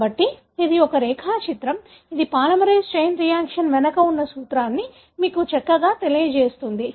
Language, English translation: Telugu, So, this is a diagram which pretty much tells you the principle behind polymerase chain reaction